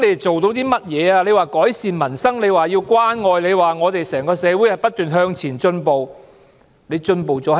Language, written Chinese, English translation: Cantonese, 政府說要改善民生、建設關愛社會，又說整個社會要不斷向前進步。, The Government has vowed to improve peoples livelihood and build a caring society . It has also stated that the whole society has to make continuous advancement